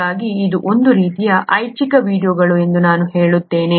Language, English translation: Kannada, So I would say that this is kind of optional videos